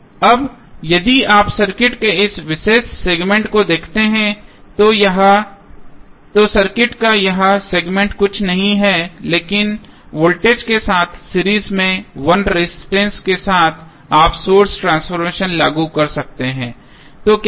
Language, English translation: Hindi, Now, if you see this particular segment of the circuit this segment of circuit is nothing but voltage source in series with 1 current voltage source in series with 1 resistance you can apply source transformation so what will happen